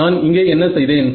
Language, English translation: Tamil, What did I do over here